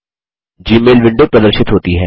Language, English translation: Hindi, The Gmail window appears